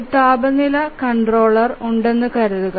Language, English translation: Malayalam, Let's say that we have a temperature controller